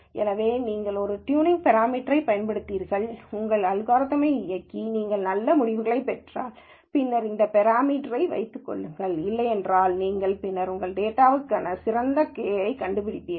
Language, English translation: Tamil, So, you use a tuning parameter, run your algorithm and you get good results, then keep that parameter if not you kind of play around with it and then find the best k for your data